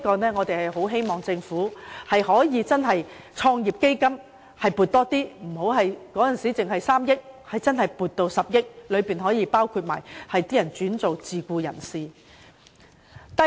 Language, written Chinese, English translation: Cantonese, 如果政府可以增加創業基金的撥款，由只得3億元增至10億元，便可同時照顧那些轉為自僱的人士的需要。, If funding for the business start - up fund can be increased from a mere sum of 300 million to 1 billion it will be possible for the Government to also cater for the needs of those who seek to become self - employed persons